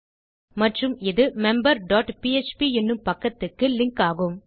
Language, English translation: Tamil, And this is going to be a link to a page called member dot php